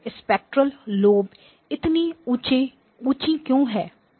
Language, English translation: Hindi, Why is the spectral lobe so high